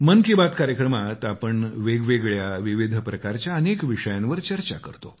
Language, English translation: Marathi, in Mann Ki Baat, we refer to a wide range of issues and topics